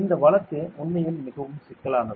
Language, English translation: Tamil, This case is very tricky actually